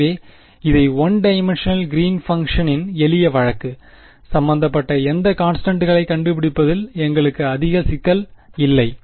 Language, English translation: Tamil, So, this was the sort of simple case of one dimensional Green’s function; we did not have much trouble in finding out any of the constants involved